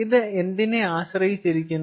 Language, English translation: Malayalam, so what is this depend on